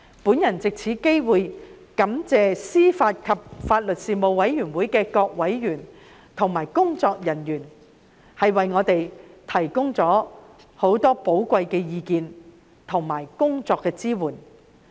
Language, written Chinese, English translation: Cantonese, 我藉此機會感謝事務委員會各委員和秘書處人員提供很多寶貴的意見及支援。, I wish to take this opportunity to express my gratitude to Panel members and staff of the Secretariat for their valuable opinions and support